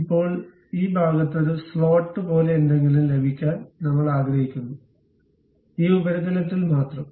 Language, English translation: Malayalam, Now, we would like to have something like a slot on this portion, on this surface only